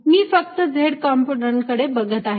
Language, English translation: Marathi, let us look at z component